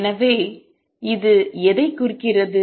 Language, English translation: Tamil, So, what does it represent